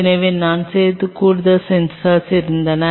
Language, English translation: Tamil, So, we had additional sensors what we added